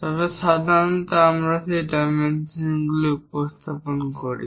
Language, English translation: Bengali, So, naturally we are going to show that dimension